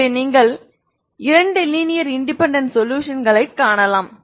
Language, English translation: Tamil, So you can find two linearly independent solutions